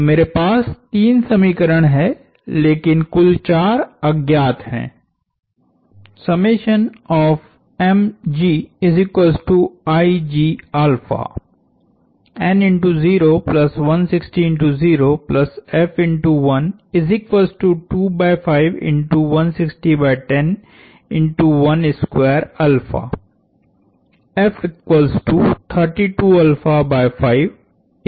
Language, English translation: Hindi, So, I have three equations,but a total of four unknowns